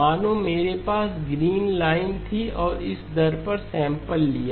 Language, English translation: Hindi, As if I had had the green line and sampled it at this rate